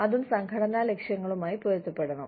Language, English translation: Malayalam, It also has to be in line, with the organizational objectives